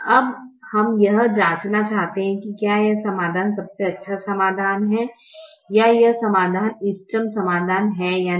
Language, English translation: Hindi, now we want to check whether this solution is the best solution or whether this solution is the optimum solution